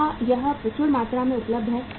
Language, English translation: Hindi, Is it available in plenty